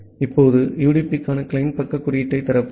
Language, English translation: Tamil, Now, let us open the client side code for the UDP